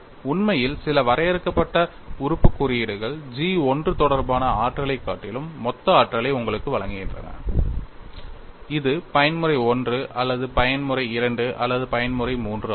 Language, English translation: Tamil, In fact, some of the finite element course provide, you the total energy rather than energy pertaining to G 1 that is mode 1 or mode 2 or mode 3